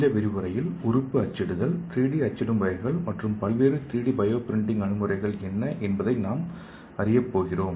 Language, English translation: Tamil, So in this lecture we are going to learn what is organ printing, types of 3D printing and what are the various 3D bio printing approaches available and also we are going to learn what is the role of nano technology in organ printing